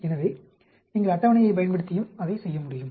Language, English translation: Tamil, So, we can you do the same thing using the table also